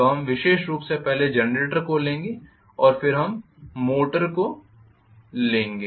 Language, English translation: Hindi, So we will take up specifically generator first then we will go into the motor